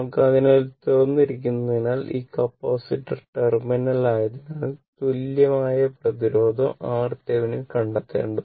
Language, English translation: Malayalam, So, as this is open, as this is this is the capacitor terminal, we have to find out the equivalent resistance Thevenin team